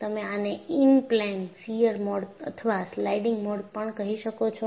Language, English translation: Gujarati, And, you call this as Inplane Shear Mode or Sliding Mode